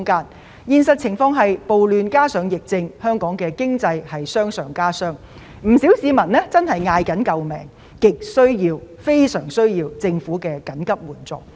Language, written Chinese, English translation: Cantonese, 我們面對的現實情況是，暴亂加上疫症令香港經濟傷上加傷，不少市民叫苦連天，亟需政府提供緊急援助。, The reality is that riots and the epidemic have hit our economy even harder many people are in great distress and they urgently need the Governments emergency assistance